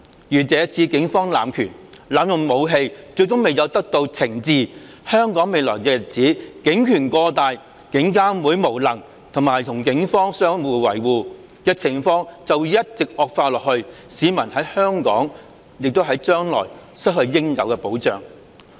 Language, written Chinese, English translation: Cantonese, 如這次警方濫權，濫用武器，最終未有得到懲治，香港未來的日子警權過大，監警會無能並與警方相互維護的情況便會一直惡化下去，市民將來在香港會失去應有的保障。, If the Police are not ultimately brought to book for their abuse of power and excessive use of weapons the situation of the Police having excessive power IPCC being incapable and the Police and IPCC harbouring each other will go from bad to worse in the days to come; and members of the public will not be duly protected in Hong Kong in future